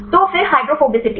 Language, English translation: Hindi, So, then hydrophobicity